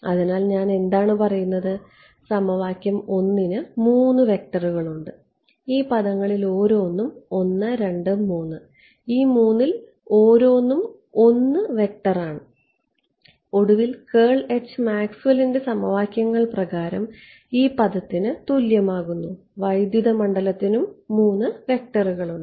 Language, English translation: Malayalam, So, what am I saying I am saying that equation 1 has 3 vectors right it has 3 vectors each of these terms is 1 2 3 each of these 3 is a 1 vector right the and curl of H finally, by Maxwell’s equations is is going to be equal to this term the electric field also has 3 vectors